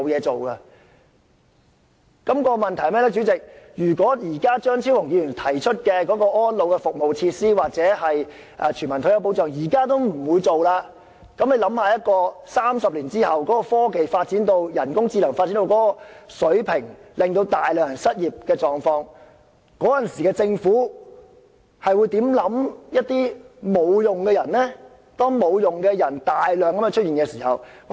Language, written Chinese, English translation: Cantonese, 主席，問題就是，如果張超雄議員倡議的安老服務設施或全民退休保障，政府現時也不會落實，那麼大家可以想象到在30年後，當科技和人工智能發展到某水平而導致大量人口失業，屆時政府會如何看待這些沒有用的人呢？, President the problem is if the Government will not implement the elderly services and facilities advocated by Dr Fernando CHEUNG or universal retirement protection now 30 years later as technology and artificial intelligence have developed to such a level that massive unemployment is resulted how will the Government treat these useless people?